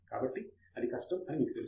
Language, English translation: Telugu, So that is the difficulty you know